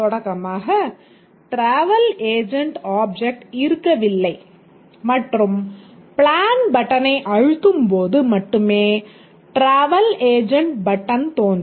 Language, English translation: Tamil, So the travel agent object does not exist to start with and only when the plan button is pressed, the travel agent button appears